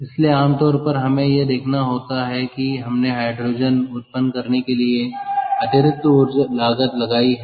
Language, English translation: Hindi, so generally we have to see that we have we incurring additional cost to generate hydrogen